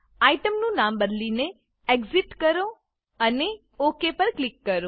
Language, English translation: Gujarati, Rename the item to Exit and click on OK